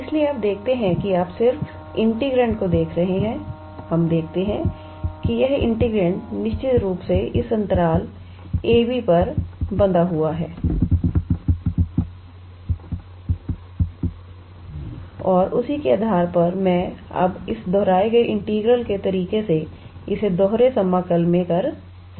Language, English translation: Hindi, So, you see that you are just looking at the integrand, we see that this integrand is definitely bounded on this interval a b and based on that, I can now treat this in double integral by the method of this repeated integral